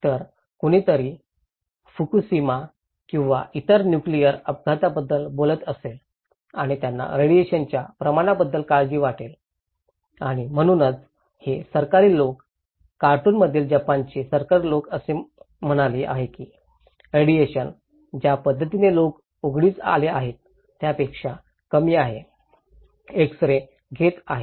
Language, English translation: Marathi, So, somebody may be talking about Fukushima or other nuclear accident and they may be worried about the radiation impact and so these government people, Japan government people in a cartoon is saying that the radiation, the way people are exposed actually is lesser than when they are having x ray